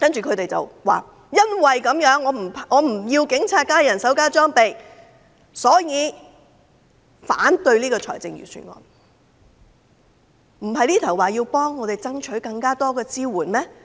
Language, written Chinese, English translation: Cantonese, 他們說因為不支持警察增加人手和裝備，所以要反對預算案，但他們剛才不是說要為市民爭取更多支援嗎？, They said that since they do not support any increase in manpower and equipment for the Police they will oppose the Budget . But did they not say just now that they fight for more support for the people?